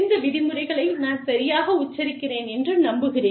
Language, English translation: Tamil, I hope, i am pronouncing these terms, right